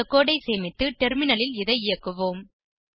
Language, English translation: Tamil, Lets save the code and execute it on the terminal